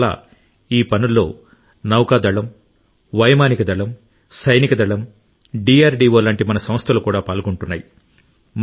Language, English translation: Telugu, That is why, in this task Navy , Air Force, Army and our institutions like DRDO are also involved